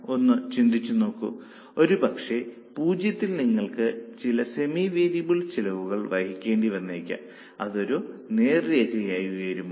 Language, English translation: Malayalam, Maybe at zero you will have to incur some semi arable costs and will it go up in the straight line